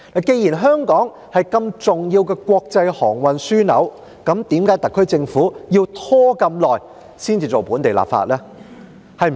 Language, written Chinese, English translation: Cantonese, 既然香港是重要的國際航運樞紐，為何特區政府要拖這麼久才進行本地立法呢？, While Hong Kong is an important international shipping hub why has the SAR Government delayed the enactment of local legislation for such a long time?